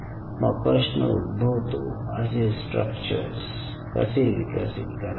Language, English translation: Marathi, another question is how you really develop these kind of structures